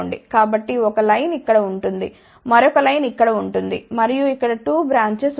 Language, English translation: Telugu, So, 1 line will be here, another line will be here and there will be 2 branches over here